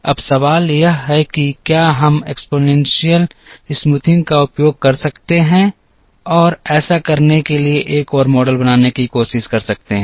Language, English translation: Hindi, Now, the question is can we use exponential smoothing and try and build another model to do this